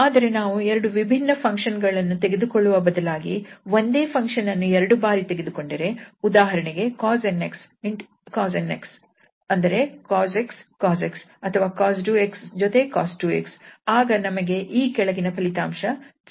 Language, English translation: Kannada, We can also check this following useful results that if we take the same member that means the cos nx, cos nx mean cos x, cos x or cos 2x with cos 2x, so they are not different members, so they are the same members